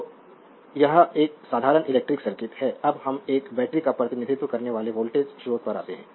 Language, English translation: Hindi, So, this is a simple electric circuit now let us come to the voltage source representing a battery